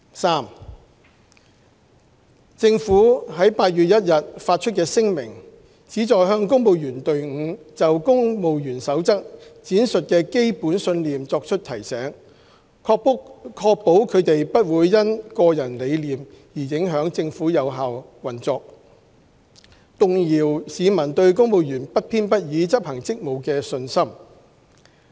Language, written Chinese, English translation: Cantonese, 三政府在8月1日發出的聲明，旨在向公務員隊伍就《公務員守則》闡述的基本信念作出提醒，確保他們不會因個人理念而影響政府有效運作，動搖市民對公務員不偏不倚執行職務的信心。, 3 The government statement issued on 1 August aims at reminding the civil service of the core values set out in the Civil Service Code . These core values are to ensure that the personal beliefs of civil servants would not affect the effective operation of the Government as otherwise this may undermine public confidence in civil servants discharging their duties impartially